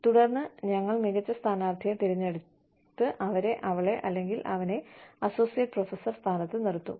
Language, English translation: Malayalam, And then, we will choose the best candidate, and put them, put her or him, in the position of associate professor